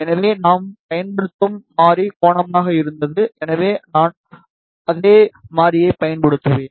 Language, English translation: Tamil, So, variable that we were using was angle, so I have just use the same variable